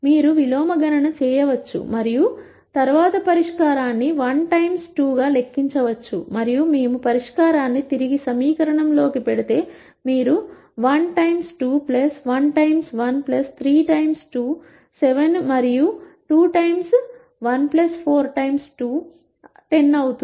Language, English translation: Telugu, You can do an inverse computation and then calculate the solution as 1 2 and if we put the solution back into the equation, you will see 1 times 2 plus 1 times 1 plus 3 times 2 is 7 and 2 times 1 plus 4 times 2 is 10